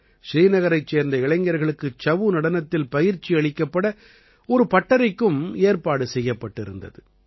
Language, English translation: Tamil, A workshop was also organized to impart training in 'Chhau' dance to the youth of Srinagar